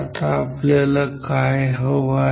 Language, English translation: Marathi, Now, what we want